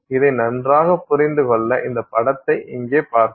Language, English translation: Tamil, To understand this better, we will look at this image here